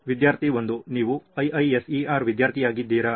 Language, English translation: Kannada, Are you a student of IISER